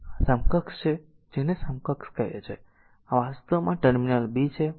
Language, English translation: Gujarati, So, this is equivalent your what you call this equivalent is your this is actually a this terminal is b